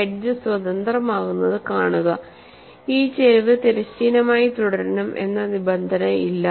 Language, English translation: Malayalam, See, the edge becomes free, there is no constrain that this slope has to remain horizontal